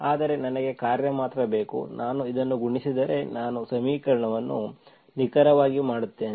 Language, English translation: Kannada, But I need only function, if I multiply this, I make the equation exact